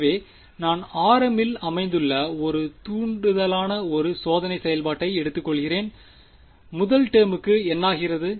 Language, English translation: Tamil, So, I am taking one testing function which is an impulse located at r m first term over here what happens to the first term